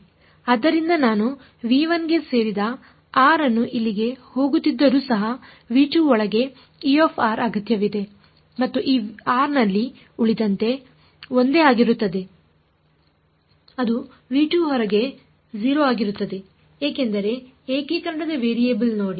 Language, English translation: Kannada, So, I still need E r inside v 2 even though I am putting r belonging to v 1 r belonging to v 1 goes in over here and in this r everything else remains the same that is going to be 0 outside v 2 because see the variable of integration